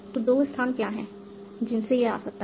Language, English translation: Hindi, So, what are the two places from which it can come